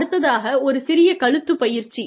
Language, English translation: Tamil, Just, plain neck exercises